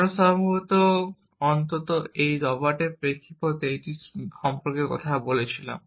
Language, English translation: Bengali, We had possibly talked about it at least in the context of this Robert called Shakey